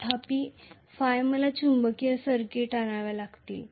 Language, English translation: Marathi, Whereas Phi I have to bring in magnetic circuits